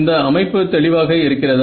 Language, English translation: Tamil, So, is the set up clear